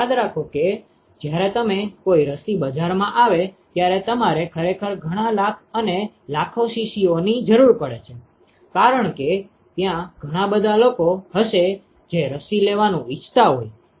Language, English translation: Gujarati, So, remember that when you when an a vaccine comes into market you really need like several lakhs and lakhs of vials, because there will be so many people who would want to get vaccinated